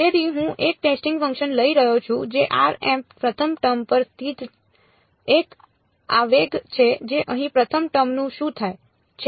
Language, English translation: Gujarati, So, I am taking one testing function which is an impulse located at r m first term over here what happens to the first term